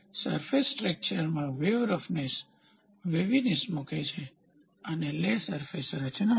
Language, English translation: Gujarati, The surface texture encompasses wave roughness waviness lay and flaw is surface texture